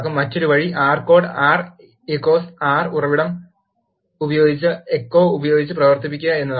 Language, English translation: Malayalam, The other way is to run the R code ‘R’ using source R source with echo